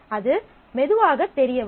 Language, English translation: Tamil, That will unfold slowly